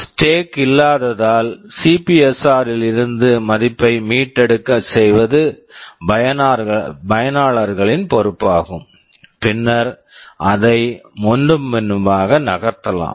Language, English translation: Tamil, Since there is no stack it is the users’ responsibility to restore the value from the CPSR and then again move it back and forth